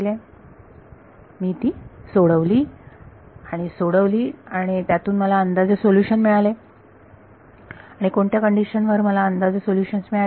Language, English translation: Marathi, I solved them and solving them gave me an approximate solution and under what conditions did I get this approximate solution